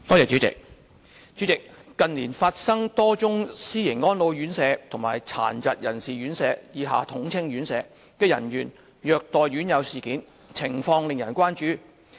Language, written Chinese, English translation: Cantonese, 主席，近年發生多宗私營安老院舍和殘疾人士院舍的人員虐待院友事件，情況令人關注。, President a number of incidents in which residents of private residential care homes for the elderly and for persons with disabilities were abused by care homes personnel have happened in recent years